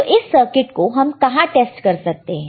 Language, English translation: Hindi, So, where we can test this circuit, right